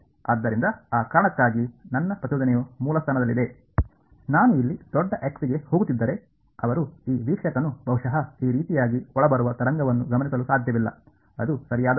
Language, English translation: Kannada, So, for that reason because my impulse is at the origin; they can if I am stand going to large x over here this observer cannot possibly observe and incoming wave like this, that is what it would mean right